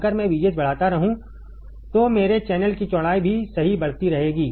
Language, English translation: Hindi, If I keep on increasing VGS my channel width will also keep on increasing right